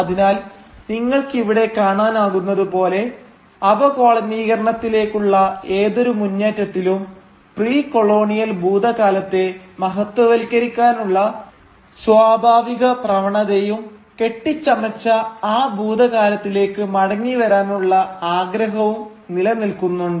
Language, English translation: Malayalam, So as you can see here, in any movement towards decolonisation there exists a natural tendency to glorify the precolonial past and a desire to return to that fabled past